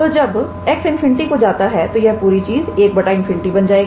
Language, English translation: Hindi, So, when x goes to infinity this whole thing will be 1 by infinity